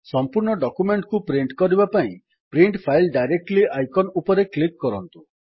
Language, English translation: Odia, Now, to directly print the entire document, click on the Print File Directly icon in the tool bar